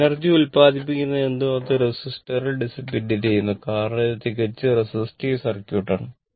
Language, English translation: Malayalam, Whatever energy you will produce, that will be dissipated in the resistor because, is a pure resistive circuit right